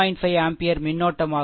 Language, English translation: Tamil, 5 ampere current